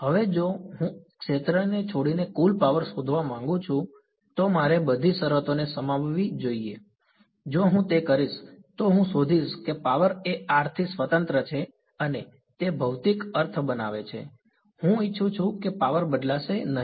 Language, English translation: Gujarati, Now if I want to find out the total power leaving the sphere I should include all the terms right, if I do that I will find out that the power is independent of r and that makes the physical sense the I want power leaving at right should we will not change